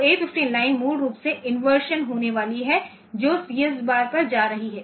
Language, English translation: Hindi, So, A 15 line is basically going to inversion of that is going to CS bar